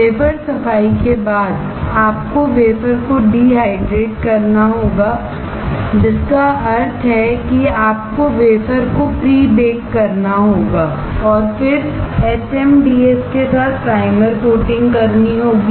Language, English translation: Hindi, After wafer cleaning you have to dehydrate the wafer; which means that you have to prebake the wafer and then do the primer coating with HMDS